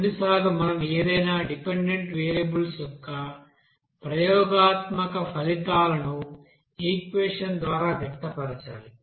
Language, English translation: Telugu, Sometimes we need to express that experimental results of any dependent variable by an equation